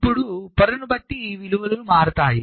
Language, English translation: Telugu, now, depending on the layer, this values will change